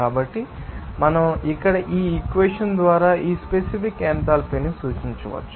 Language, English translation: Telugu, So, we can then represent this, this specific enthalpy by this equation here